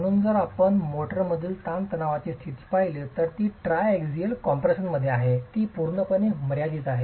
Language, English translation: Marathi, So if you look at the state of stress in the motor, it's in triaxial compression